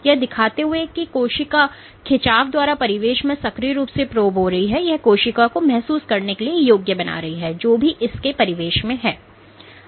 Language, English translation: Hindi, Showing that the cell is actively probing it is surroundings by pulling and this is what enables the cells to sense what is it in surroundings